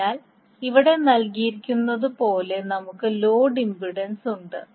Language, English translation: Malayalam, So, we have load impedance as given